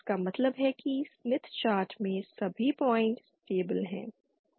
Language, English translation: Hindi, That mean the all points with in the smith chart are stable